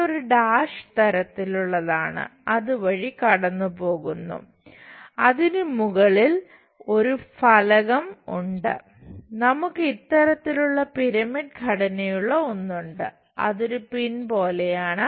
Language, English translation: Malayalam, So, this is dash one goes via that a plate on top of that we have this kind of pyramid kind of structure which is something like a pin we have it